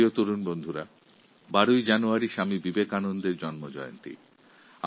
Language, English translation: Bengali, Dear young friends, 12th January is the birth anniversary of Swami Vivekananda